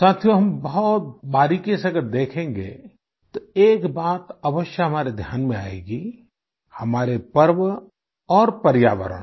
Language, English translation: Hindi, Friends, if we observe very minutely, one thing will certainly draw our attention our festivals and the environment